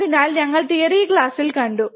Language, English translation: Malayalam, So, we have seen in the theory class